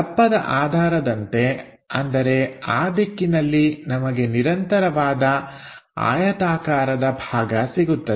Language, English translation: Kannada, In terms of thickness, we will have this continuous rectangular portion